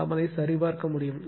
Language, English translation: Tamil, So, you can verify